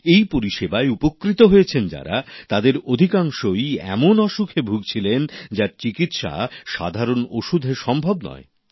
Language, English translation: Bengali, And most of these beneficiaries were suffering from diseases which could not be treated with standard medicines